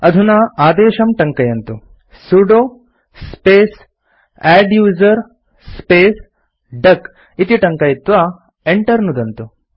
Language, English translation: Sanskrit, Type the command#160: sudo space adduser space duck, and press Enter